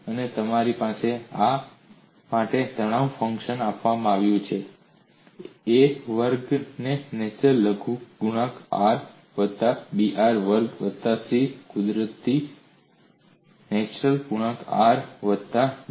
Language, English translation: Gujarati, And you have the stress function for this is given as, A r square natural logarithm r plus B r square plus C natural logarithm r plus D